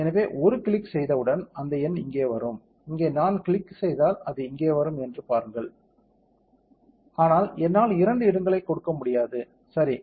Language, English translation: Tamil, So, as soon as a click it that number come here, see if I click here it will come here, but I cannot give two places, right